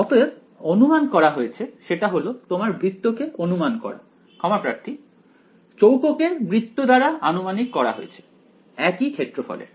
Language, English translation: Bengali, So, the approximation made is approximate your circle sorry your square by a circle of the same area